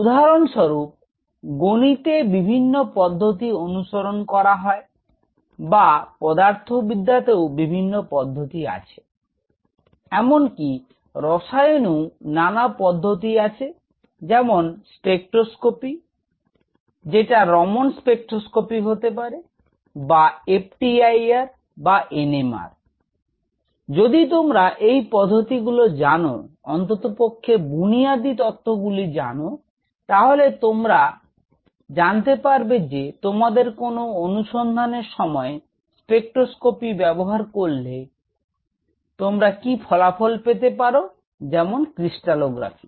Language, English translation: Bengali, Say for example, in mathematics there are several techniques, right or in physics there are several techniques, similarly in chemistry, there are several techniques say spectroscopic technique, but we have course; the basic logics behind the spectroscopy; whether it is a Raman spectroscopy, whether it is a FTIR, whether it is a NMR, if you know those; at least the basics, then you know with your problem, what all you can derive using this spectroscopy or say for example, crystallography